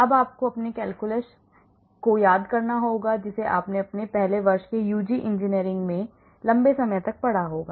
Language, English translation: Hindi, now you have to recall your calculus which you must have studied long time back in your first year UG engineering session